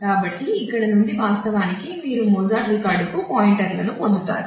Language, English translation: Telugu, So, from here actually you get pointers to the; to the record for Mozart